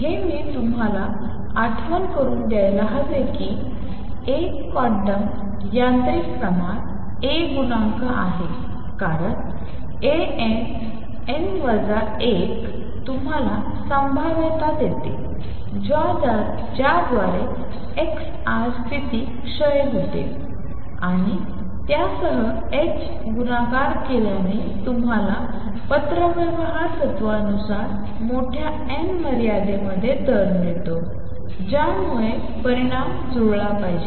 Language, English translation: Marathi, This I should remind you is a quantum mechanical quantity A coefficient because A n, n minus 1 gives you the probability through which the x r state decays and with that multiplied by h nu gives you the rate in the large n limit by correspondence principle the 2 result should match